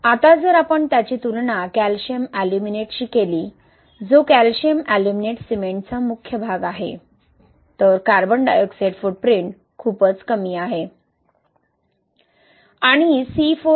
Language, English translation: Marathi, Now if we compare it with calcium aluminate,right, which is the main phase of calcium aluminate cement, the carbon dioxide footprint is quite low